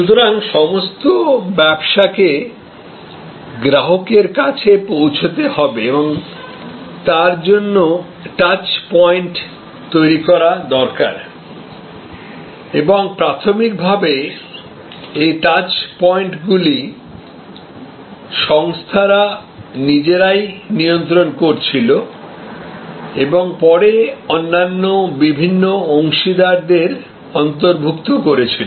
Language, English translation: Bengali, So, all businesses have to reach the customer and therefore, they need to create touch points and initially these touch points were controlled by the organizations themselves and later on it incorporated various other partners